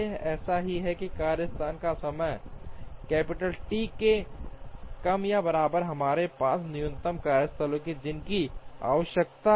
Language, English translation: Hindi, Such that the workstation time is less than or equal to capital T, we have minimum number of workstations that is required